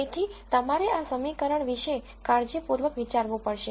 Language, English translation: Gujarati, So, you have to think carefully about this equation